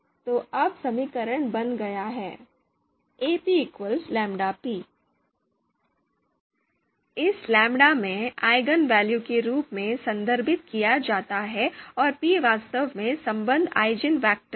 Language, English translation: Hindi, So the equation becomes now Ap equal to lambda p, in this lambda is actually referred as eigenvalue and the the p is actually the associated eigenvector